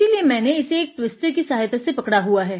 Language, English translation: Hindi, So, I am just holding it in a twister in my hand